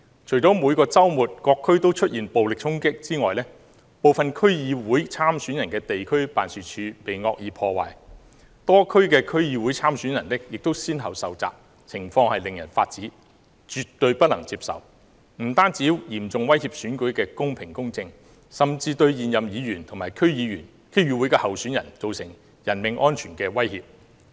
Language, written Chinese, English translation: Cantonese, 除了每個周末於各區出現的暴力衝擊外，部分區議會參選人的地區辦事處亦被惡意破壞，多區的區議會參選人亦先後受襲，情況令人髮指，絕對不能接受，這樣不單嚴重威脅選舉的公平公正，甚至對現任議員和區議會候選人造成人命安全的威脅。, Apart from violent attacks in various districts every weekend the offices of some District Council Election candidates were also vandalized and a number of these candidates were attacked . This is outrageous and totally unacceptable . Not only are these incidents a serious threat to the fairness and justice of the election but also a serious threat to the personal safety of existing District Council members and the candidates